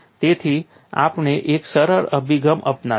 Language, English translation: Gujarati, So, we would take out a simpler approach